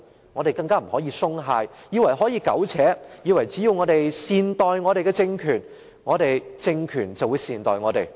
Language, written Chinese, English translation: Cantonese, 我們更不可以鬆懈，以為可以苟且，以為只要我們善待政權，政權便會善待我們。, Nor can we slack off thinking that we can muddle through mistaken that as long as we treat the political regime well so will the political regime to us